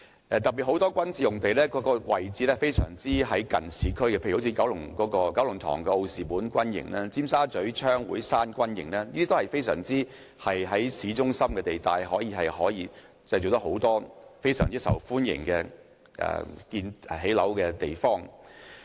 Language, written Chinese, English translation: Cantonese, 特別是很多軍事用地的位置非常接近市區，例如九龍塘的奧士本軍營、尖沙咀的槍會山軍營都是位於市中心，可以提供很多非常受歡迎的建屋用地。, In particular many military sites are very close to the urban area for example the Osborn Barracks in Kowloon Tong and Gun Club Hill Barracks in Tsim Sha Tsui are both located in the central areas of the city . They can be turned into very popular housing sites